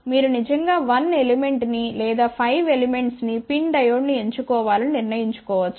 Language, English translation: Telugu, You can actually decide to choose 1 element or up to 5 element PIN Diode